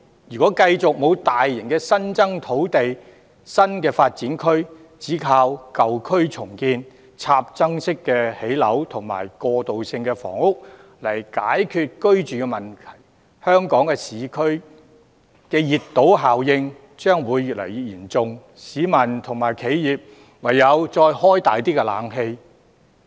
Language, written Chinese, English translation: Cantonese, 如果繼續沒有大型的新增土地及新發展區，只靠舊區重建、興建"插針樓"及過渡性房屋來解決居住問題，香港市區的熱島效應將會越來越嚴重，市民及企業唯有把冷氣的溫度再調低些。, If we continue to have no large additional land and new development areas and rely solely on the redevelopment of old districts and the construction of standalone buildings and transitional housing to tackle the housing problem the heat island effect in Hong Kongs urban areas will become increasingly serious . Members of the public and enterprises will then have no alternative but to adjust the air - conditioning to a lower temperature